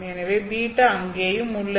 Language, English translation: Tamil, So there is beta there also